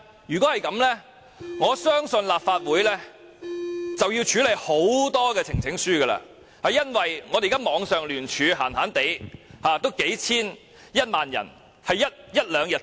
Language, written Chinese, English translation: Cantonese, 若然如此，我相信立法會便需處理大量呈請書，因為我們現在網上聯署，在一兩天之內已有數千人支持。, In that case I believe the Legislative Council will need to deal with a lot of petitions for an online petition initiated by us will soon be supported by thousands of people within one or two days